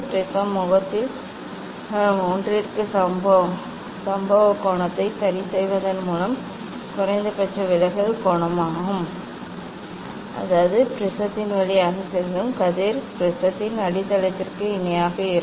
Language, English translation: Tamil, the minimum deviation angle is achieved by adjusting the incident angle to one of the prism face such that, the ray passing through the prism to be parallel to the base of the prism